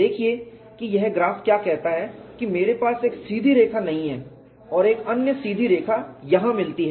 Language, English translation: Hindi, See what does this graph says is I cannot have a straight line and another straight line meet in here